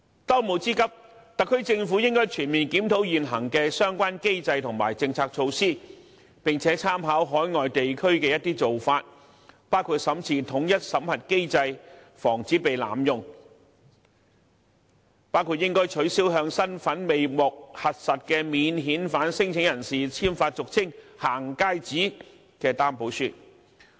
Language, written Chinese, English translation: Cantonese, 當務之急，特區政府應全面檢討現行相關機制及政策措施，參考外地做法，包括審視統一審核機制，防止濫用，包括取消向身份未獲核實的免遣返聲請人簽發俗稱"行街紙"的擔保書。, Given the urgency of the matter the SAR Government should comprehensively review current mechanism and policy measures concerned and draw reference from overseas practices including reviewing the unified screening mechanism to prevent abuse such as stop issuing Recognizance Forms to non - refoulement claimants whose identity has not been verified